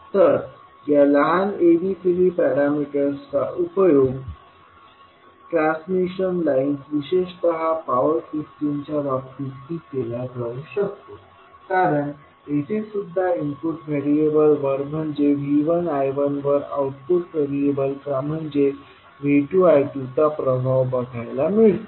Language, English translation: Marathi, So these small abcd parameters can also be utilised in case of the transmission lines particularly the power systems because here also we get the impact of output variables that is V 2 I 2 on the input variables that is V 1 I 1